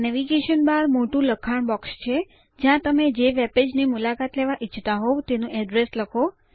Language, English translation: Gujarati, The Navigation bar is the large text box, where you type the address of the webpage that you want to visit